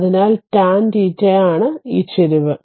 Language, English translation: Malayalam, So, tan theta this is the slope